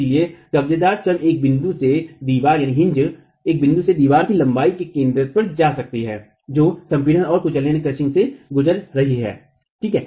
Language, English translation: Hindi, Therefore your hinge itself can go from a point to at the centroid of a length of a wall which is undergoing compression and crushing